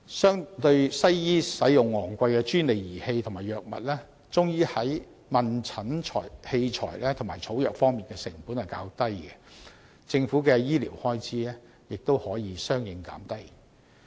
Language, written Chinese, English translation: Cantonese, 相對西醫使用昂貴專利儀器和藥物，中醫在問診器材和草藥方面的成本較低，政府的醫療開支亦可相應減低。, Compared to the expensive patent devices and drugs used in Western medicine diagnostic equipment and herbal drugs used in Chinese medicine are lower in cost so the Governments medical expenses may be reduced accordingly